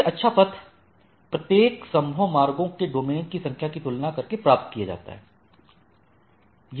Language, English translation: Hindi, The best path is obtained by comparing the number of domains of each feasible routes right